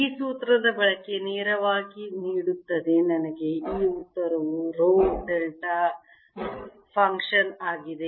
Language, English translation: Kannada, this formula, use of this formula directly, gives me this answer, with rho being the delta function